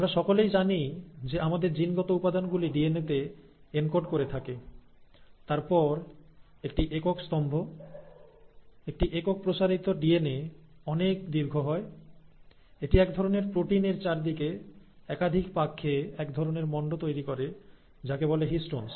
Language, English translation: Bengali, And we all know that our genetic material is encoded in DNA, but then a single strand, a single stretch DNA is way too long and it kind of gets package through multiple folding and wrappings around a set of proteins called as histones